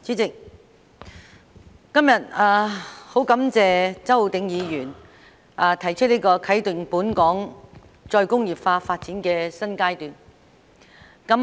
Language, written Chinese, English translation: Cantonese, 主席，今天十分感謝周浩鼎議員提出"啟動本港再工業化發展的新階段"議案。, President I am very grateful to Mr Holden CHOW for proposing the motion of Commencing a new phase in Hong Kongs development of re - industrialization today